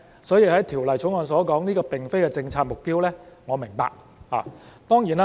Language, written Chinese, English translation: Cantonese, 所以，《條例草案》所說，這並非政策的目標，我是明白的。, Hence I understand that as stated in the Bill this is not the policy objective